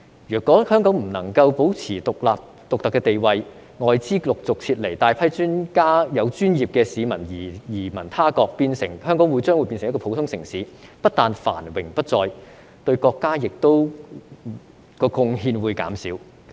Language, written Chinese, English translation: Cantonese, 如果香港不能夠保持獨特的地位，外資陸續撤離及大批有專業資格的市民移民他國，香港將會變成普通城市，不但繁榮不再，對國家的貢獻亦會減少。, If Hong Kong cannot maintain its unique position foreign capital will continually be withdrawn and a large number of professional people will emigrate to other countries . Hong Kong will then become an ordinary city not only will it no longer prosper its contribution to the country will also be reduced